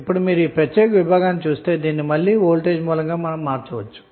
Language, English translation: Telugu, Now if you see this particular segment this can be again converted into the voltage source